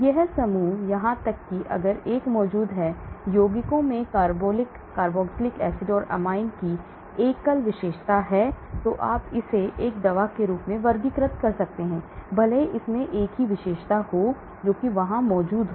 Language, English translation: Hindi, These groups even if it is present 1, compounds containing a single feature of carbolic carboxylic acid or amine, then you can classify it as a drug, even if it contains a single feature, that is there